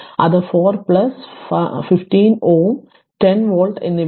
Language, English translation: Malayalam, So, then what will be i it is 4 plus 1 5 ohm and 10 volt